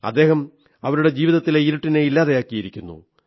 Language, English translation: Malayalam, He has banished the darkness from their lives